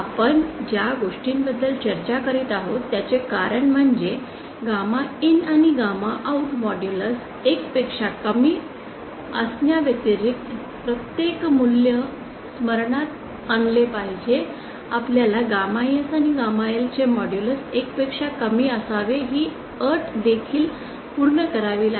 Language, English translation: Marathi, The reason we are discussing is because every value recall in addition to gamma IN and gamma out be lesser than 1, you also have to satisfy the condition that modulus of gamma S and gamma L should be lesser than 1